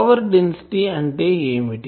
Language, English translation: Telugu, What is the power density